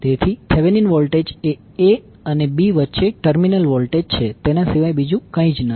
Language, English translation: Gujarati, So Thevenin voltage is nothing but the voltage across the terminal a b